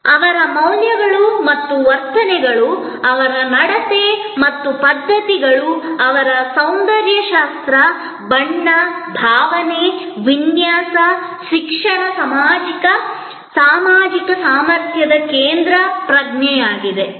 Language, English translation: Kannada, Their values and attitudes, their manners and customs their sense of esthetics, color, feel, texture, education social competency that is the central block